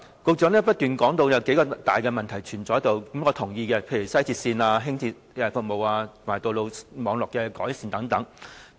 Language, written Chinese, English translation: Cantonese, 局長不斷提到有數個大問題存在，我是同意的，例如西鐵線和輕鐵服務及道路網絡的改善等。, The Secretary kept saying there are a few major issues with which I agree such as improvements to the services of LR and WR and road network